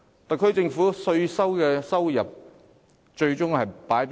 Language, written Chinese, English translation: Cantonese, 特區政府的稅收最終會用於何處？, How does the SAR Government use its tax revenue eventually?